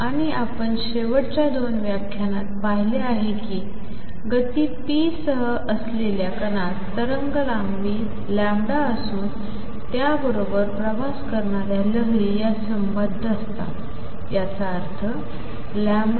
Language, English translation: Marathi, And what I have presented the last couple of lecturers is that a particle with momentum p has wavelength lambda associated with the waves travelling with it; that means, lambda wave is h over p